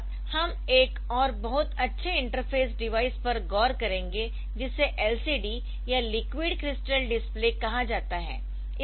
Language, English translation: Hindi, very nice interfacing device which is known as LCD or liquid crystal display